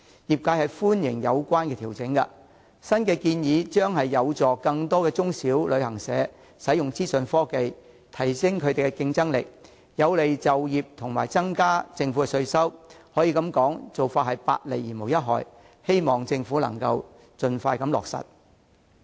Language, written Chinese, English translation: Cantonese, 業界歡迎有關調整，認為新建議有助更多中小型旅行社使用資訊科技，提升競爭力，有利就業及增加政府稅收，可說是百利而無一害，希望政府盡快予以落實。, The industry welcomes the relevant adjustment and considers that the new proposal will help small and medium travel agents use information technology enhance their competitive edge facilitate employment and bring more tax revenue to the Government . I hope the Government can implement the adjustment expeditiously as it can only bring benefits instead of harms